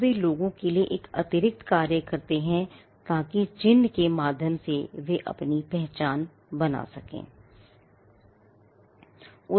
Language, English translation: Hindi, Now they perform an additional function of people being able to identify themselves through a mark